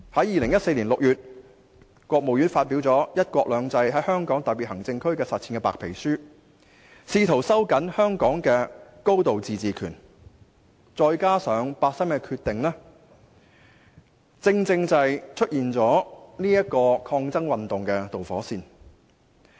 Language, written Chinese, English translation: Cantonese, 2014年6月，國務院發表《"一國兩制"在香港特別行政區的實踐》白皮書，試圖收緊香港的高度自治權，而八三一的決定，便成為出現抗爭運動的導火線。, In June 2014 the State Council published the White Paper on The Practice of the One Country Two Systems Policy in the Hong Kong Special Administrative Region in an attempt to tighten Hong Kongs high degree of autonomy . And NPCSCs decision on 31 August 2014 became the underlying cause of those resistance movements